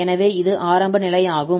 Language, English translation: Tamil, So that is the initial condition